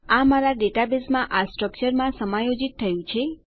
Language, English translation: Gujarati, Its adjusted into that structure in my database